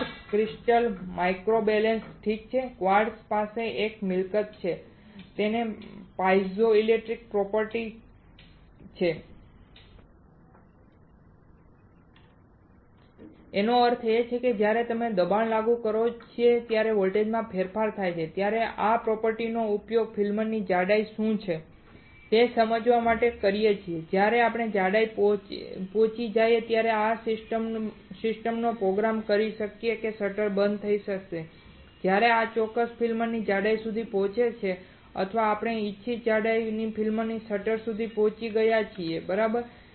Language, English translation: Gujarati, Quartz crystal microbalance alright, quartz has a property it is called piezoelectric property; that means, when we apply pressure there is a change in voltage we can use this property to understand what is the thickness of the film and when the thickness is reached we can program the system such that the shutter will get closed when this particular film is film thickness is reach of or the film of our desired thickness is reached the shutter will get close right